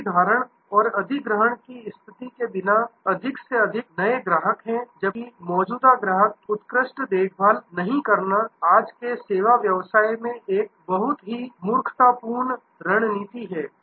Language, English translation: Hindi, Without retention and acquisition strategy are more and more new customers while not taking excellent care of the existing customer is a very full hardy very unwise strategy in today's service business